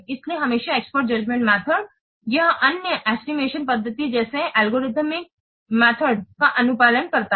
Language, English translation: Hindi, So, always the expert judgment method, it complements the other estimation methods such as algorithmic method